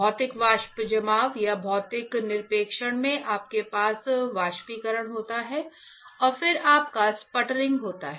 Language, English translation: Hindi, In physical vapor deposition or physical deposition, you have evaporation and then you have sputtering correct